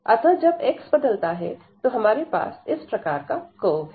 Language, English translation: Hindi, So, as the x varies, we have the curve here